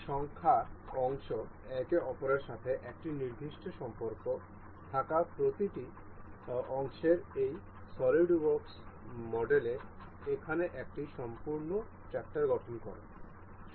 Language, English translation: Bengali, This number of parts and each parts having a particular relation with each other forms a complete tractor here in this SolidWorks model